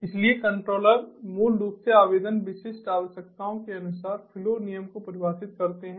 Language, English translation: Hindi, so controllers basically define the rule, the flow rule, according to the application specific requirements